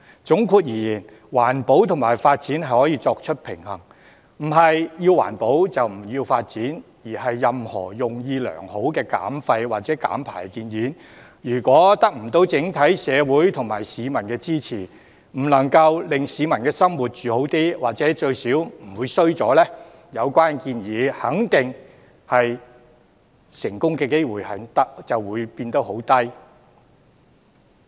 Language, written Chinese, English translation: Cantonese, 總括而言，環保與發展可以平衡，不是要環保，就不要發展，而任何用意良好的減廢或減排建議，如果得不到整體社會及市民支持，不能令市民的生活改善，或最少不會變差，有關建議的成功機會肯定渺茫。, All in all there can be a balance between environmental protection and development as the two are not mutually exclusive . For any well - intended suggestions about waste reduction or emission reduction if it is unable to get the support of our society and to improve or at least maintain peoples livelihood it will definitely stand little chance of success